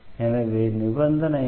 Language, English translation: Tamil, So, what is the condition